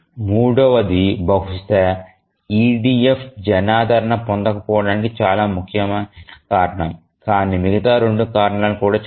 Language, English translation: Telugu, So, the third one is possibly the most important reason why EDF is not popular but then the other two reasons also are bad